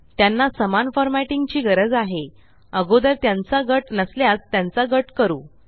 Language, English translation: Marathi, As they require the same formatting, lets group them ,If they are not already grouped